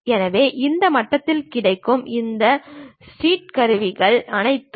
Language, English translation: Tamil, So, almost all these steels tools available at this level